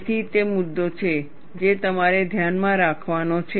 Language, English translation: Gujarati, So, that is the issue that, you have to keep in mind